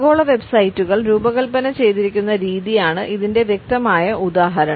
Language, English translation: Malayalam, A clear example of it is the way the global websites are designed